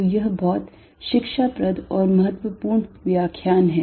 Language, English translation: Hindi, So, this is quite an instructive and important lecture